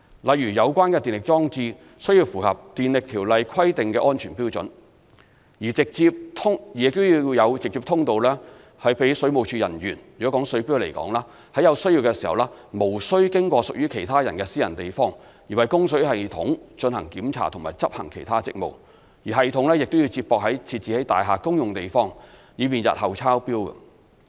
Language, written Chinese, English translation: Cantonese, 例如，有關的電力裝置須符合《電力條例》規定的安全標準，亦要有直接通道讓水務署人員——若以水錶為例，在有需要時無須經過屬其他人的私人地方，而為供水系統進行檢查及執行其他職務，以及系統需接駁至設置在大廈公用地方，以方便日後抄錶等。, For instance electrical installations must meet the safety standards under the Electricity Ordinance . In the case of water meters the premises must have an individual access enabling WSD staff to enter directly to carry out water supply system inspection and other duties without using private access occupied by other parties . The system is required to connect to the communal area of the building to facilitate meter reading